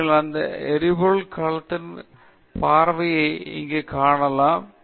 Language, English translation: Tamil, So, you can see here a close up of that fuel cell